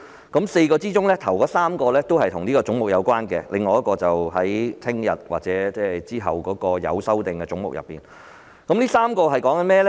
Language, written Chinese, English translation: Cantonese, 在4個範疇中，首3個與此總目有關，至於另一個範疇，我會留待明天或之後辯論有修正案的總目時才談論。, The first three of these four areas are related to this head . As for the other area I will leave my discussion on it until the debate on those heads with amendments tomorrow or later